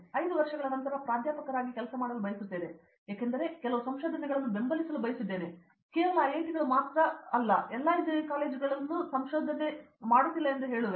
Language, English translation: Kannada, After 5 year, I want to see myself as a working as a professor, because I wanted to support some research, I mean to say only IITs are doing research basically not all engineering colleges